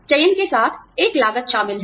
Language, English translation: Hindi, There is a cost involved with selection